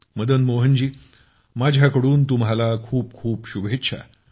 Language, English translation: Marathi, Well, Madan Mohan ji, I wish you all the best